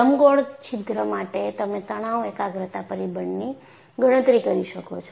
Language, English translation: Gujarati, And, for an elliptical hole, you can calculate the stress concentration factor